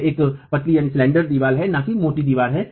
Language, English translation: Hindi, So, it is a slender wall not a squat wall